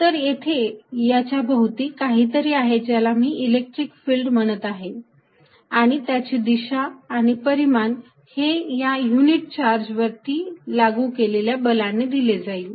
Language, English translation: Marathi, So, this exist something around it that I am calling the electric field and it is direction and magnitude is given by force is applied on a unit charge